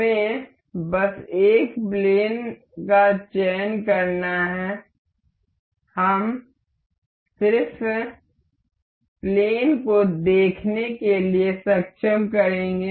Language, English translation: Hindi, Let us just select a one plane it is, we will just enable to be see the plane